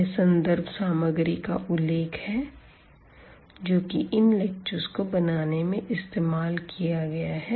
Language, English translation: Hindi, And these are the references which we have used to prepare these lectures